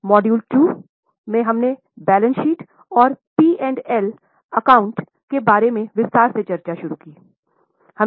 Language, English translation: Hindi, In module 2, we had started with discussion on balance sheet and P&L, little more in detail